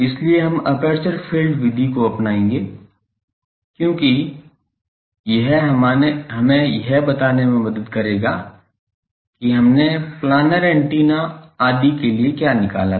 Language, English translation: Hindi, So, we will take the aperture field method because it will help us to illustrate what were we have derived for planar antennas etc